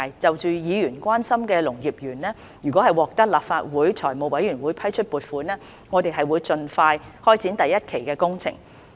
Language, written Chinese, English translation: Cantonese, 就議員關心的農業園，如果獲得立法會財務委員會批出撥款，我們將盡快開展第一期的工程。, Regarding the Agricultural Park which is of concern to Members if funding approval is granted by the Finance Committee of the Legislative Council we will expeditiously commence the first phase of the construction works